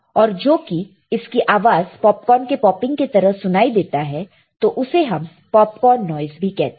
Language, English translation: Hindi, And because of its sound similar to popcorn popping, it is also called popcorn noise; it is also called popcorn noise